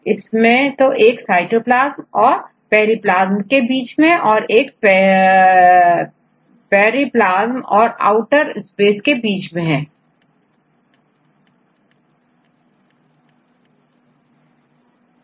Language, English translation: Hindi, So, you can see a cytoplasm and they have the periplasm here and outer space